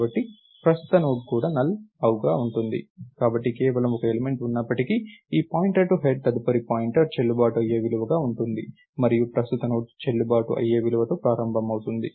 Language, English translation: Telugu, So, current Node will also be null, but even if there is just one element, this ptr to head next pointer will be a valid value and current Node will start with a valid value